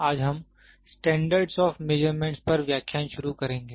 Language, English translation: Hindi, We will today start lecture on Standards of Measurements